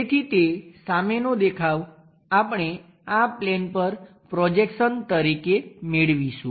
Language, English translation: Gujarati, So, that front view we are going to get as the projection onto this plane